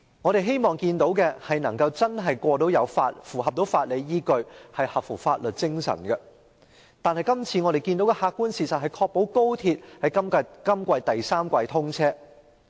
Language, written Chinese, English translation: Cantonese, 我們希望看到的是她會確保《條例草案》具有法理依據並合乎法律精神，但我們今次看到的客觀事實卻是她只想確保高鐵可於今年第三季通車。, We wanted to see that she would ensure that the Bill had a legal basis and was in line with the spirit of the law but the objective fact we saw this time was that she merely wanted to ensure the commissioning of XRL in the third quarter of this year